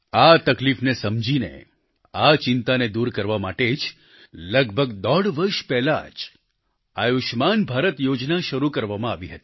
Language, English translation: Gujarati, Realizing this distress, the 'Ayushman Bharat' scheme was launched about one and a half years ago to ameliorate this constant worry